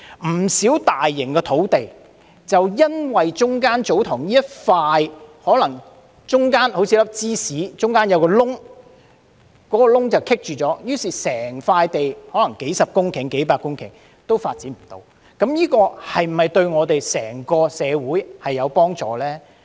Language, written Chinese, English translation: Cantonese, 不少大型土地的發展就是因為中間的一塊祖堂地——就像一片芝士中間的一個洞——而出現阻滯，於是面積可能高達數十至數百公頃的整塊土地便不能發展，這樣對我們整個社會是否有幫助呢？, Quite a number of large - scale land development projects got stuck due to a piece of TsoTong land in the middle just like a hole in cheese . As a consequence no development can be carried out on the whole piece of land covering an area of dozens or even hundreds of hectares . Is this beneficial to the community at large?